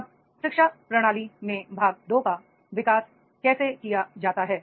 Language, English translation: Hindi, Now the part two in the education system is how it is developed